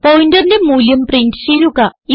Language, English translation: Malayalam, And print the value of the pointer